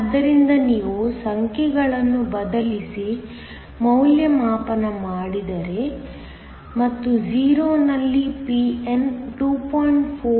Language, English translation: Kannada, So, if you substitute the numbers and evaluate Pn at 0, turns out be 2